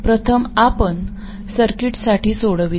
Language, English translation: Marathi, First we solve for this circuit